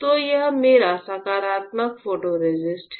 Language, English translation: Hindi, So, this is my positive photoresist alright